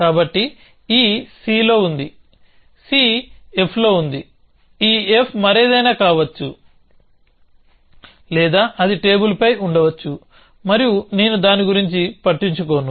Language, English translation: Telugu, So, e is on c, c is on f, this f could be on something else or it be on the table and I do not care about